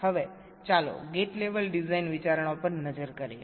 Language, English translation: Gujarati, ok, now let us look at the gate level design considerations